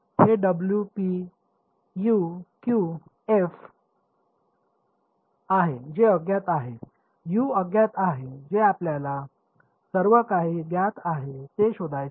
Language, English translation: Marathi, Is it w p u q f which is unknown U is unknown that is what we want to find out everything else is known